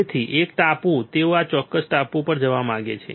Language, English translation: Gujarati, So, island one they want to go to this particular island all right